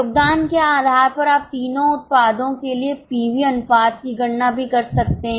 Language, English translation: Hindi, Based on contribution you can also compute the PV ratio for all the three products